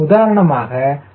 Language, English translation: Tamil, equal to zero